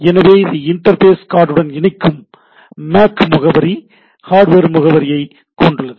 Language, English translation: Tamil, So, it is having MAC address or sometimes call hardware address which is with that interface card right